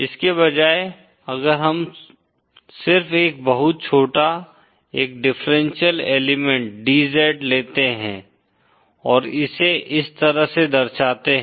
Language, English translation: Hindi, Instead, if we just take a very small, a differential element DZ and represent it like this